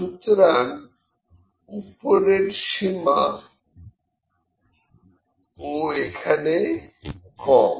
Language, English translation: Bengali, So, upper bound is also lower